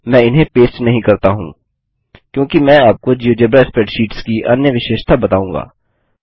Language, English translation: Hindi, I did not paste these because I will show you another feature of geogebra spreadsheets